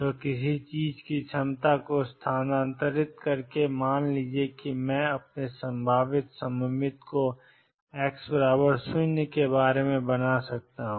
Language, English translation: Hindi, So, by shifting the potential of something suppose I could make my potential symmetric about x equals 0